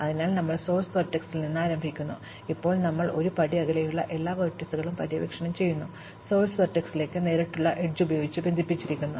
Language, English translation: Malayalam, So, we start at the source vertex and we now explore all the vertices, which are one step away, connected by a direct edge to the source vertex